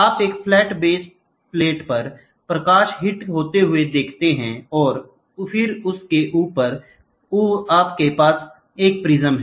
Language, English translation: Hindi, So, if you see the light hits on a flat base plate which is flat and then on top of it, you have a prism